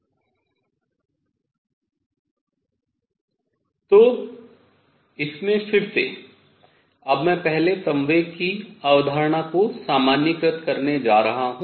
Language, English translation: Hindi, So, in this again, now I am going to now first generalize the concept of momentum